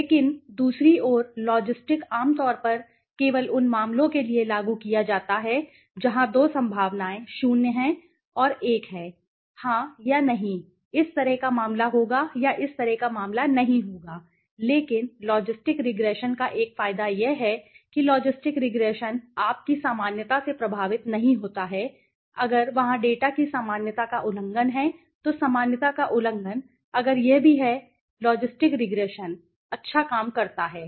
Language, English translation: Hindi, But on the other hand, the logistic is generally applied for only cases where the 2 possibilities 0 and 1, yes or no, kind of right so will happen or will not happen kind of a case but the advantage of a logistic regression is that a logistic regression does not get affected by the normality you know if there is violation of the normality of the data so violation of normality if it is still there logistic regression works well right